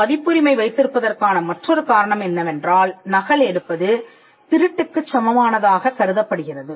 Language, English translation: Tamil, Another rationale for having copyright is that copying is treated as an equivalent of theft